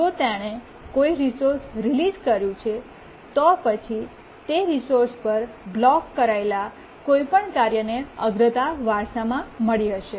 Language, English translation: Gujarati, If it is released a resource, then any task that was blocking on that resource, it might have inherited the priority